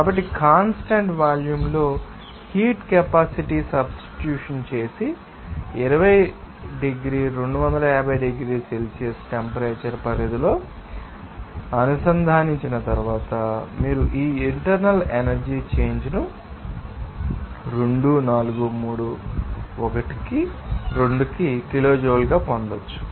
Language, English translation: Telugu, So, after substitution of the heat capacity at constant volume and integrating within the range of temperature of 20 degree 250 degrees Celsius, you can get this internal energy change as 24312 kilojoule